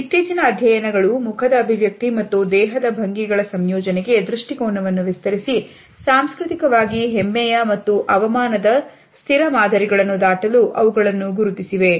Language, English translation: Kannada, Recent studies which are being conducted now have extended the view to combinations of facial expression and body posture and they have found evidence for cross culturally a stable patterns of pride and shame as well